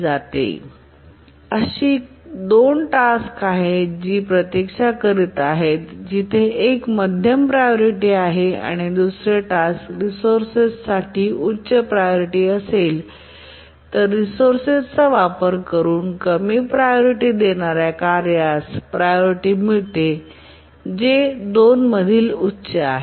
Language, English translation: Marathi, If there are two tasks which are waiting, one is medium priority, one is high priority for the resource, then the lowest, the low priority task that is executing using the resource gets the priority of the highest of these two, so which is it